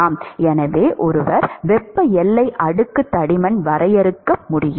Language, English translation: Tamil, So, one could define thermal boundary layer thickness